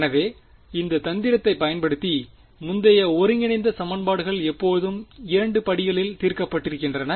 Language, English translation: Tamil, So, we have already come across this trick earlier integral equations always solved in 2 steps